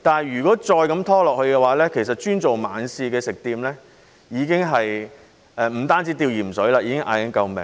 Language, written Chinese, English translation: Cantonese, 如果再這樣拖延下去，只經營晚市的食店不單"吊鹽水"，甚至已經在高呼救命。, If the situation drags on food establishments that only operate in the evening will not only be on a saline drip but will also even be crying out for help